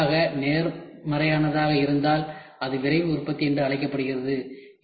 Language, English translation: Tamil, If the resulting part is positive it is called as Rapid Manufacturing